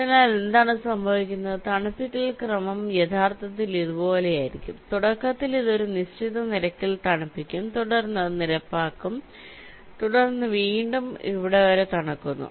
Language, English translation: Malayalam, so what will happen is that the cooling sequence will actually the like this: initially it will be cooling at a certain rate, then it will be leveling up, then again it will cooling until here